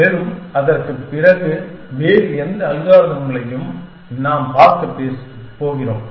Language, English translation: Tamil, And whatever other algorithm, that we are going to look at after that